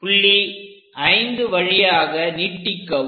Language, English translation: Tamil, Extend this 5 also this point